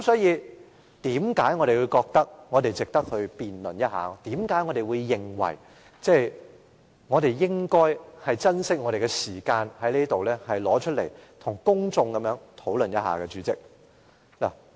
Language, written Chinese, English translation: Cantonese, 因此，我們覺得這事值得辯論一下，我們認為應該珍惜我們的時間，在這裏跟公眾討論一下。, Hence I think this issue is worth discussing and we should cherish our time and discuss it here with the public